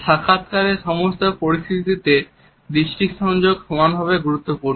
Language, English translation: Bengali, Eye contact is equally important in all the interview situations